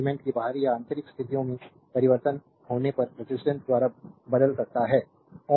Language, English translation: Hindi, The resistance can change if the external or internal conditions of the elements are your altered